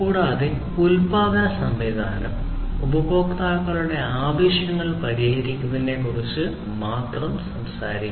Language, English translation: Malayalam, And the production system should talk about only addressing the customers’ needs